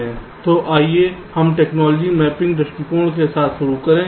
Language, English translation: Hindi, so let us start with the technology mapping approach